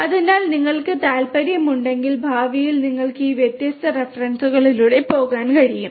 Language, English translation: Malayalam, So, these are some of these different references if you are interested you can go through these different references for in the future